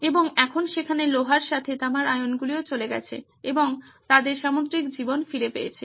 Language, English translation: Bengali, And now with the iron there, the copper ions were gone and they got the marine life back